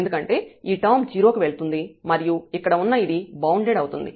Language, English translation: Telugu, Because this term will go to 0 and something bound it is sitting here